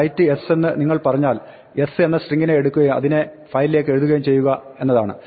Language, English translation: Malayalam, When you say, write s says take the string s and write it to a file